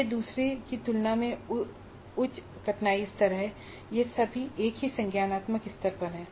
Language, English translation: Hindi, So it gives higher difficulty level while retaining the same cognitive level